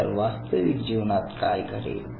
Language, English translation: Marathi, So, what will happen real life